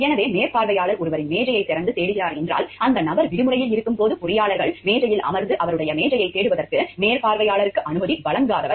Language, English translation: Tamil, So, if the supervisor is unlocking and searching somebody’s desk, engineers desk when the person is away on vacation and who have not given the permission to the supervisor to search his desk